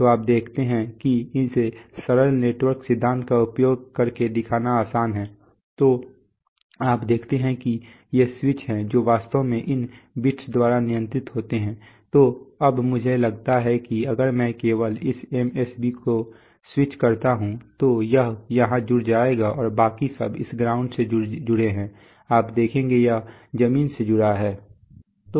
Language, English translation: Hindi, So you see that you can it is rather easy to show using simple network theory that, you see these are the switches which are actually controlled by these bits, so now I suppose let us say the simplest case that if I switch only this MSB, so it will get connected here and all the others are connected to this ground, you see this is connected to ground